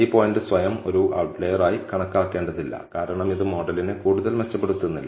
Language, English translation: Malayalam, We need not treat this point as an outlier by itself, because it does not improvise the model any further